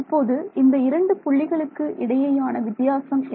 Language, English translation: Tamil, Right the difference between these 2 points